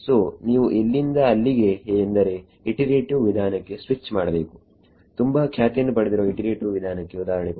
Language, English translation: Kannada, So, you have to switch to what are called iterative methods any example of the most popular iterative method